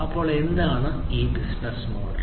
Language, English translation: Malayalam, So, what is this business model